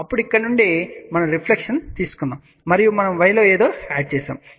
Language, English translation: Telugu, Then from here, we are taken the reflection and in y we are adding something